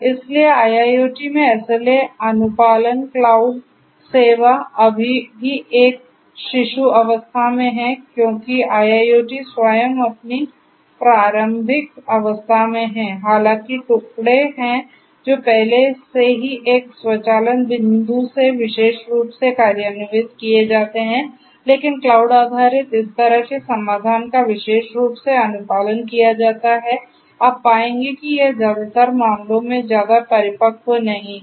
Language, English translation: Hindi, So, SLA complied cloud service in IIoT is still in an infant stage because IIoT itself is in its infancy although there are bits and pieces that are already implemented particularly from an automation point of view, but cloud based this kind of solution particularly SLA complied, you will find that it is not much matured at in most of the cases